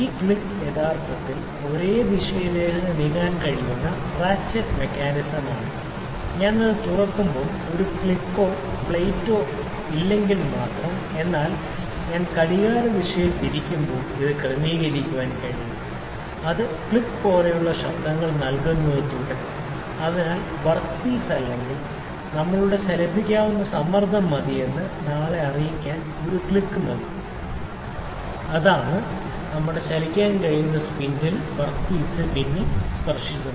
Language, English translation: Malayalam, This click is actually the ratchet mechanism it can move in one direction only if when I open it there is no click or there is no plate, but it can adjust when I rotate it clockwise further it will keep on giving the click noises clockwise, clockwise further it will keep on giving the click voice noises like click, but one click is enough to let us know that the pressure is enough that the work piece or the our moveable, that is our moveable spindles touch the work piece